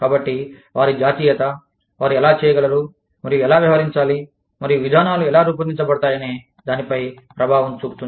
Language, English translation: Telugu, So, their nationality, could have an impact on, how they can, and should be treated, and how the policies, are formulated